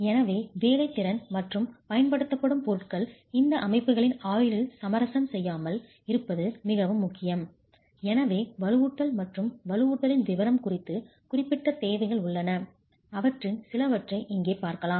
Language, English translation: Tamil, So, it's very important that the workmanship and the materials used do not compromise the durability of these systems and so there are specific requirements as far as reinforcement and detailing of reinforcement is concerned and we look at few of them here